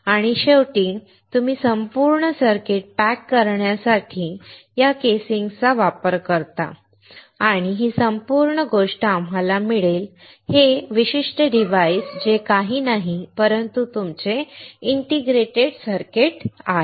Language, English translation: Marathi, And finally, you use this casing for pack packaging the entire circuit and this whole thing will get us, this particular device that is nothing, but your integrated circuit